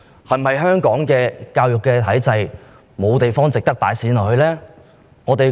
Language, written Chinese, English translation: Cantonese, 香港的教育體制是否沒有值得投放資源的地方？, Is it true that there are no other areas in our education system where resources should be committed?